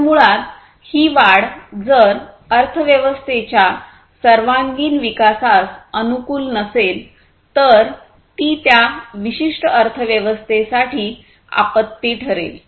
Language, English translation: Marathi, So, basically, if the growth is not conformant with the overall growth of the economy then that will become a disaster for that particular economy